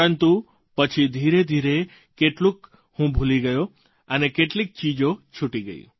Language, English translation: Gujarati, But gradually, I began forgetting… certain things started fading away